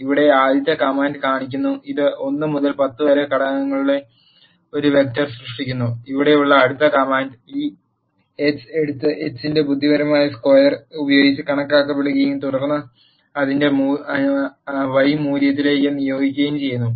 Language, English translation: Malayalam, The first command here shows, it is creating a vector which is having the elements from 1 to 10, and the next command here takes this x and calculates the element wise square of the x and then assign it to value y